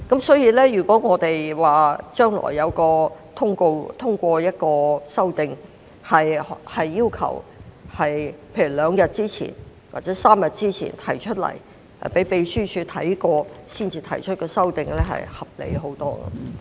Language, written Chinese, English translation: Cantonese, 所以，如果將來能通過一項修訂，要求在例如兩天或3天前提出建議，經秘書處審閱後才提出修訂，相信會合理得多。, Hence it will be much more reasonable if amendments can be passed in the future to the effect that a notice must be given for example two or three days before for moving a motion and that the motion may only be moved after it has been checked by the Secretariat